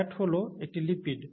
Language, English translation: Bengali, Fat is a lipid